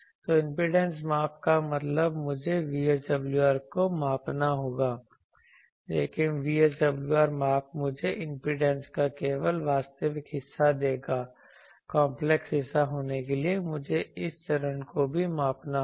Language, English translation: Hindi, So, impedance measurement means I will have to I will have to measure VSWR, but VSWR measurement will give me only the real part of the impedance to have the complex part I also need to measure this phase